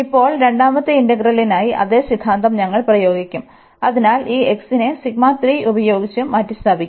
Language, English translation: Malayalam, And now for the second integral the same theorem we will apply, so this x will be replaced by some psi 3